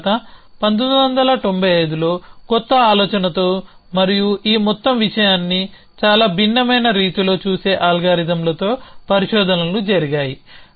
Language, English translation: Telugu, Then in 1995 of pare of researches care of with a new idea and with an algorithms which look at this whole thing in very different way